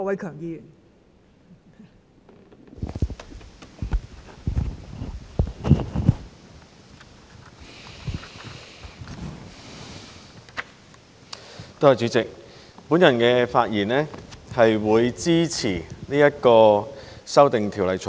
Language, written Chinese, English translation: Cantonese, 代理主席，我發言支持《2021年個人資料條例草案》。, Deputy President I rise to speak in support of the Personal Data Privacy Amendment Bill 2021 the Bill